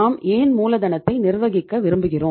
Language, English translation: Tamil, Why we want to manage the working capital